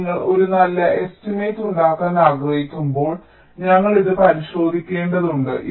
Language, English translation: Malayalam, so when you want to make a good estimate, we will have to look into this